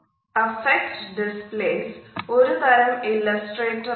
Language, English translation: Malayalam, Affect displays are also a type of an illustrator